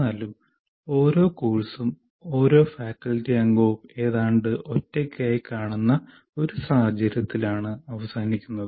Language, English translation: Malayalam, Somehow we have been ending up with this situation where each course is looked at by a faculty member almost in isolation